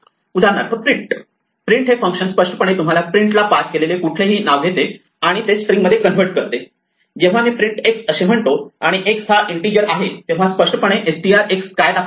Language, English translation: Marathi, And for instance, print the function print implicitly takes any name you pass to print and converts it to a string represent, when I say print x and x is an integer implicitly str of x is what is displayed